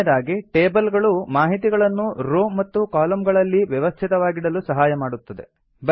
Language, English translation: Kannada, Lastly, tables are used to organize data into columns and rows